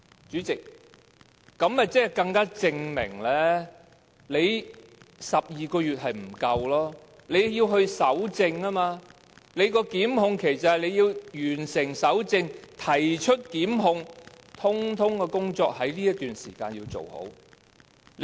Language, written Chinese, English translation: Cantonese, 主席，其實這樣便更加證明12個月的期限是不足夠的，因為須進行搜證，而所謂的檢控期是包括完成搜證和提出檢控，所有工作也要在這段時間內做好。, Chairman this is further proof that a 12 - month time limit is inadequate because of the need to collect evidence . The collection of evidence and initiation of prosecutions must be completed within the so - called prosecution period . In other words everything must be over and done with within this period